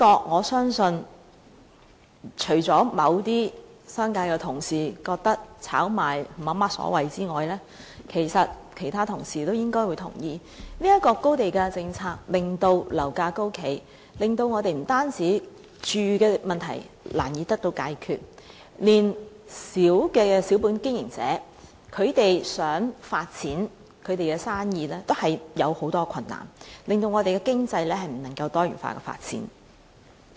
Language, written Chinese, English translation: Cantonese, 我相信這點除了某些商界的同事認為炒賣沒有所謂外，其他同事其實應會同意高地價政策令樓價高企，不僅令我們的居住問題難以得到解決，連微小的小本經營者想發展其生意也面對很多困難，使我們的經濟未能多元化發展。, I believe that except some Members from the business sector who consider speculation is okay all other Members should agree that the high land - price policy has given rise to high property prices . This has made it difficult to solve the housing problem and has even posed difficulties to micro enterprises wanting businesses expansion . As a result this has hindered the diversified economic development of Hong Kong